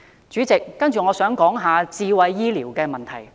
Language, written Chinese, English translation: Cantonese, 主席，我接着想談談智慧醫療的問題。, President let me now switch to smart healthcare